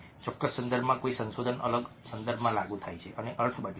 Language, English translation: Gujarati, research in a specific context is applied to a different context and the meaning changes